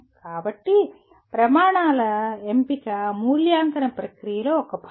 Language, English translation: Telugu, So selection of criteria itself is a part of evaluation process